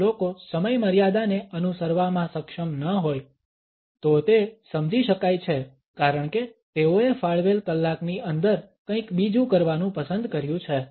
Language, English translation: Gujarati, It is understood if people are not able to follow the deadlines because they have preferred to do some other thing within the allotted hour